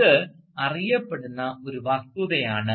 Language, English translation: Malayalam, And this is a known fact